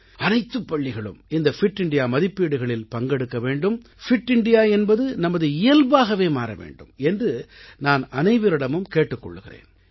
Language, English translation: Tamil, I appeal that all schools should enroll in the Fit India ranking system and Fit India should become innate to our temperament